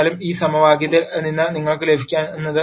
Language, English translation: Malayalam, However, from this equation what you can get is b 1 is minus 2 b 2